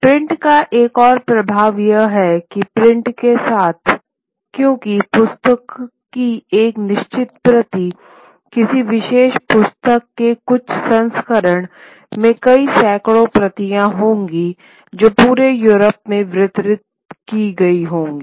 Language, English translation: Hindi, For now, another impact of print is that with print because a certain copy of the book, a certain edition of a particular book will have many hundreds of copies which are then distributed across Europe